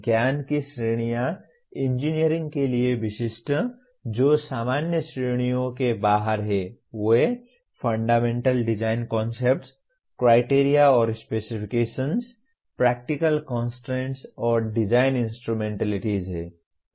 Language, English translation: Hindi, Categories of knowledge specific to engineering which are outside the general categories, they are Fundamental Design Concepts, Criteria and Specifications, Practical Constrains and Design Instrumentalities